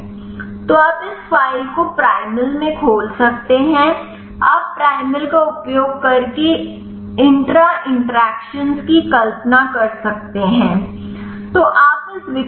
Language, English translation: Hindi, So, you can open this file in the primal you can visualize the intra interactions using primal